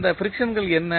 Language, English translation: Tamil, What are those frictions